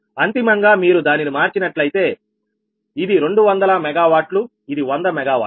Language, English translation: Telugu, i mean, this is two hundred megawatt, this is hundred megawatt, right